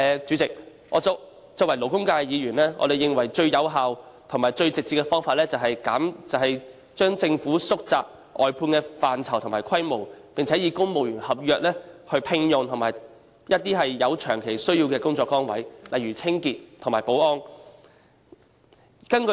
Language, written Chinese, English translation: Cantonese, 主席，作為勞工界的議員，我們認為最有效和最直接的方法是政府縮窄外判的範疇和規模，並以公務員合約條款聘用僱員擔任有長期需要的工作崗位，例如清潔和保安的工作。, President we being Members from the labour sector consider that the most effective and direct way is for the Government to reduce the scope and scale of service outsourcing and recruit employees on civil service agreement terms to fill positions with long - term service needs such as cleaning and security services